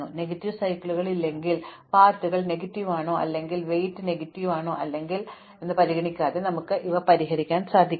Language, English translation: Malayalam, We will also solve these things regardless of whether the paths are negative or the weights are negative or not, provided there are no negative cycles